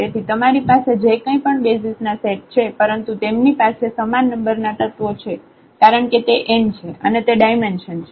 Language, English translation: Gujarati, So, whatever you have different different set of basis, but they will have the same number of elements because that is the n that is a dimension